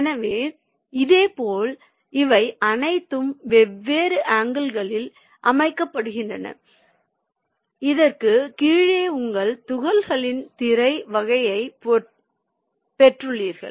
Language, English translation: Tamil, so, similarly, these are all arranged at different angles and below this you have got a screen type of your apertures